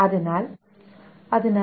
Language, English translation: Malayalam, is equal to t1